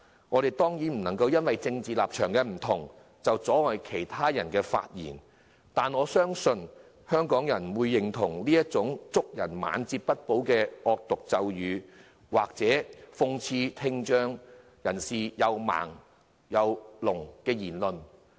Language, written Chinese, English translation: Cantonese, 我們不能夠因為政治立場不同就阻止其他人發言，我相信香港人不會認同祝賀人"晚節不保"的惡毒咒語，或諷刺聽障人士"又盲又聾"之類的言論。, We cannot stop people with different political beliefs from voicing their views . I believe people of Hong Kong will not endorse cursing others of losing his integrity in his closing year or ridiculing people with hearing impairment of being blind and deaf